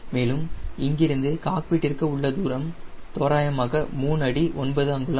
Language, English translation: Tamil, and from here to this cockpit, here it is roughly three feet nine inches